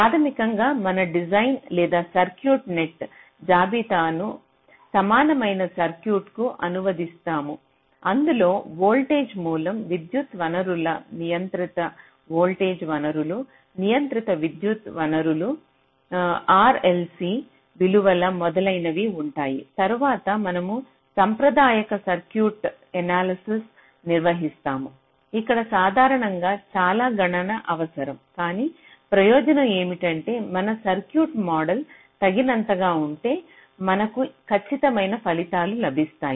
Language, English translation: Telugu, so basically you translate your design or circuit net list in to an equivalent circuit which consists of voltage source, current sources, controlled voltage sources, controlled current sources, r, l, c values, etcetera, and subsequently you carry out a traditional circuit analysis, which typically requires lot of computation